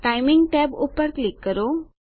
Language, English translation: Gujarati, Click the Timing tab